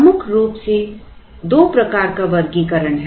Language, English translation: Hindi, Broadly two types of classification